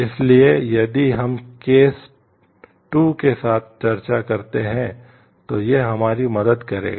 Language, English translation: Hindi, So, it will help us if we discuss with the case 2